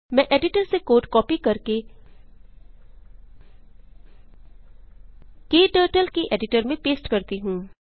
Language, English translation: Hindi, Let me copy the code from editor and paste it into KTurtles editor